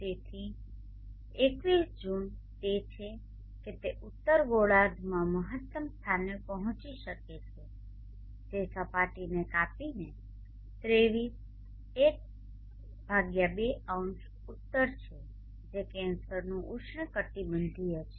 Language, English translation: Gujarati, So June 21st it is it would have reach the maximum point and northern hemisphere cutting the surface at 23 ½0 north which is a tropic of cancer